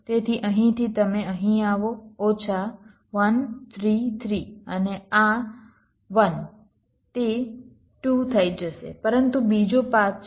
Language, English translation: Gujarati, so from here you come here, minus one, three, ah, three and ah, this one, it will become two